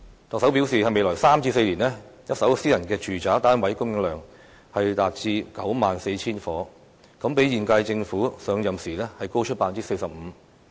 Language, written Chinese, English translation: Cantonese, 特首表示在未來3至4年，一手私人住宅單位供應量將達到 94,000 個，比現屆政府上任時高出 45%。, According to the Chief Executive the supply of first - hand private residential units in the next three or four years will be as much as 94 000 units 45 % higher than the figure at the beginning of the current - term Government